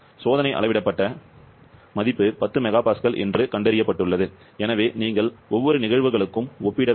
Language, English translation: Tamil, And it has been found that the experimental measured value is 10 mega Pascal, so you have to compare for each of the cases